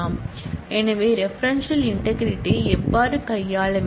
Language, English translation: Tamil, So, this is how the referential integrity has to be handled